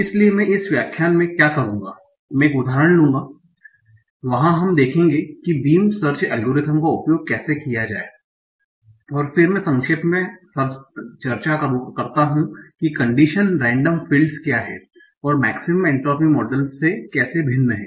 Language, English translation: Hindi, So what I will do in this lecture I will take an example where we will see how to use beam such algorithm and then I briefly discuss what are conditional random fields and how are the different from maximum entropy models